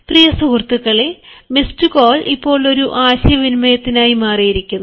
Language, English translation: Malayalam, dear friends, miss call has become a communication now